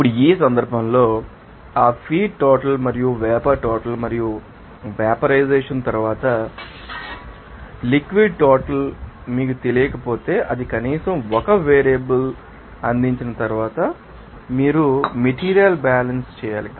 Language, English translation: Telugu, Now in this case what would that feed amount and what was the vapor amount and also you know liquid amount after vaporization then it is if it is not known to you then you have to do the material balance once that is provided at least 1 variables there